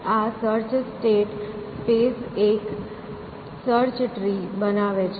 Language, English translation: Gujarati, So, this search state space search generates a search tree